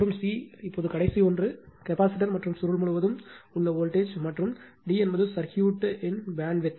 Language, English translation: Tamil, And c, now the last one voltage across the capacitor and the coil, voltage of the capacitor and the coil, and d is the bandwidth of the circuit